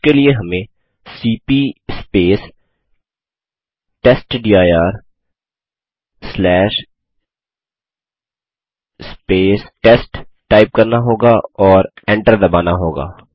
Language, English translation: Hindi, For that we would type cp space testdir slash test and press enter